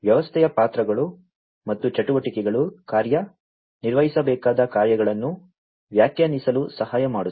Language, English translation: Kannada, The roles and the activities of the system will help in defining the task, the tasks to be performed